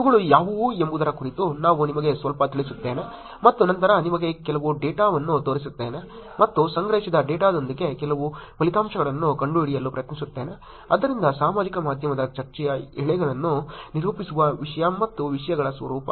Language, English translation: Kannada, Let me walk you through little bit about what these are, and then show you some data and try to finds some results with the data that was collected, so nature of content and topics that characterize social media discussion threads